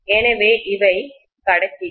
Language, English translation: Tamil, So these are the conductors